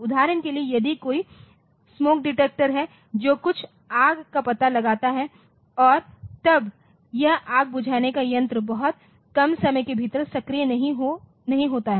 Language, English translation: Hindi, For example, if there is a way smoke detectors so, that detects some fire and then this fire extinguisher are not activated within a very small amount of time